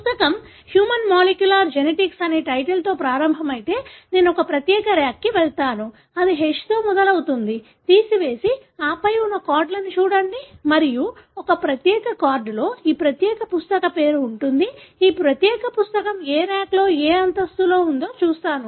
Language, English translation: Telugu, So, if the book starts with title ‘human molecular genetics’, I will go to a particular rack which, starts with H, pull out and then look at cards that are there and one particular card would have this particular book name and it would tell me in which rack, which floor this particular book is there